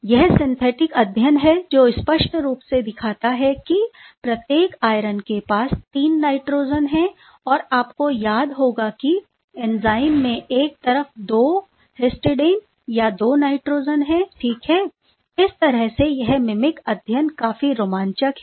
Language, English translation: Hindi, This is a synthetic study which clearly shows that each irons are having 3 nitrogen and both of them, but as you remember in the enzyme on one side there is only 2 histidine or the 2 nitrogen ok